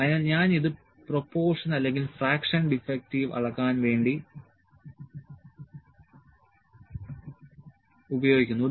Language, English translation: Malayalam, So, I can better put it, it is used to measure the proportion or fraction defective